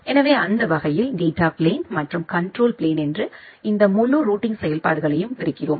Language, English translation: Tamil, So, that way we are dividing this entire routing functionalities in the data plane and the control plane